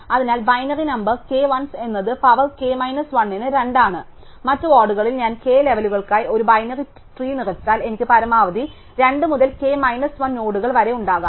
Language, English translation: Malayalam, So, binary number k 1s is just 2 to the power k minus 1, in other wards if I fill up a binary tree for k levels I will have at most 2 to the k minus 1 nodes